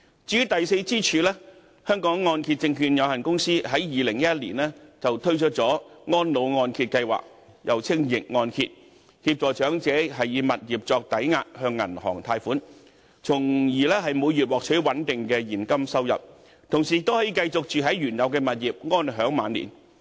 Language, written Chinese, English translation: Cantonese, 至於第四支柱，香港按揭證券有限公司在2011年推出安老按揭計劃協助長者以物業作抵押，向銀行貸款，從而每月獲取穩定的現金收入，同時亦可以繼續居住在原有物業，安享晚年。, As for the fourth pillar HKMC launched its Reverse Mortgage Scheme in 2011 to help the elderly apply for reverse mortgage loan from banks using their home as collateral in order to receive a secure stream of monthly payments while at the same time remain in their home for the remainder of their life